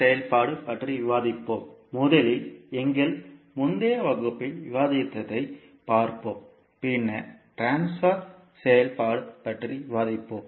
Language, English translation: Tamil, So, in this class we will discuss about the transfer function and we will see what we discussed in our previous class first and then we will proceed to transfer function